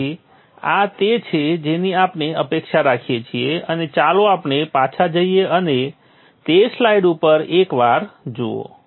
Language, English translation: Gujarati, So this is what we can expect and let us go back and have a look at that